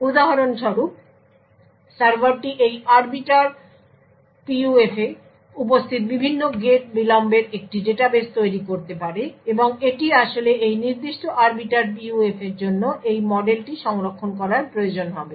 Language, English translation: Bengali, For example, the server could build a database of the various gate delays that are present in this arbiter PUF and it would actually required to store this model for this specific arbiter PUF